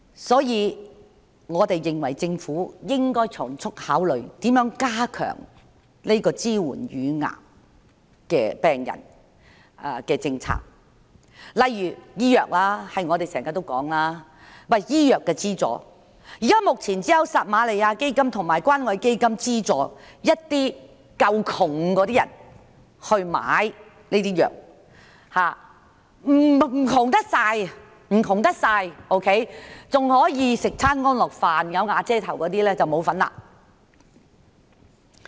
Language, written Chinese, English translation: Cantonese, 所以，我們認為政府應該從速考慮如何加強支援癌症病人的政策，例如我們經常提及的醫藥資助，現時只有撒瑪利亞基金及關愛基金資助一些"夠窮"的人士購買藥物；未算太貧窮，即是還可以舒適地吃上一頓飯、"有瓦遮頭"的人則沒有份兒。, Therefore we think that the Government should expeditiously consider how to strengthen the policy to support cancer patients . About the medical subsidy we often refer to for example only the Samaritan Fund and the Community Care Fund are currently subsidizing some poor - enough people to buy drugs . Those who are not too poor that is people who can still eat a meal comfortably or those who have a shelter are not qualified